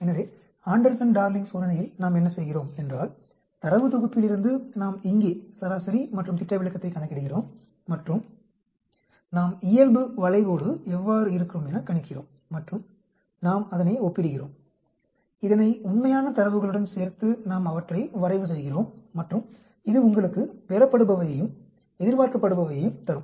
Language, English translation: Tamil, So, in the Anderson Darling test what we do is from the data set, we calculate here mean and a standard deviation and we predict how the normal curve will look like and then we compare it, we plot them together with the actual data and that will give you an observed and expected